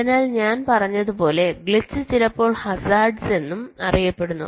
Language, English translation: Malayalam, so, as i had said, a glitch, which sometimes is also known as hazard